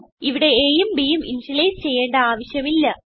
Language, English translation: Malayalam, No need to initialize a and b here